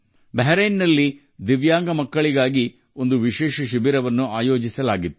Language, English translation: Kannada, A special camp was organized for Divyang children in Bahrain